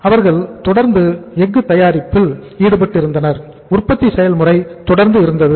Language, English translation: Tamil, They are manufacturing steel continuously, the production process is going on